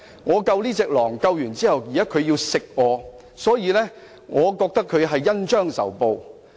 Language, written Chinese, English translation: Cantonese, 我拯救了這隻狼，但牠現在想吃掉我，所以我覺得牠是恩將仇報"。, I have saved this wolf but it is now trying to eat me . I think it is repaying kindness with ingratitude